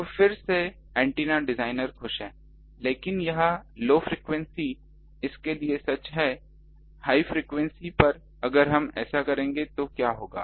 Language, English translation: Hindi, So, again the antenna designer is happy, but this is true for low frequencies at high frequencies